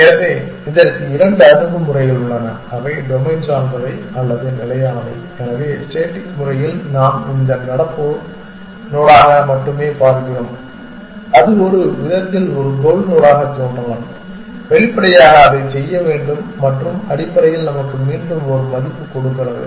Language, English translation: Tamil, So, there are two approaches to this one is domain dependent or static, so by static we mean that it only look as this current node and may be it looks as a goal node in some manner, obviously it will have to do that and gives us a value back essentially